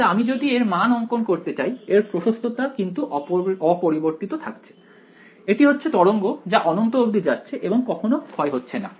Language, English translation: Bengali, But, if I plot the magnitude of this the amplitude of this is unchanged it is the wave that goes off to infinity it never decays